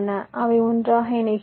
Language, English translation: Tamil, they connected right now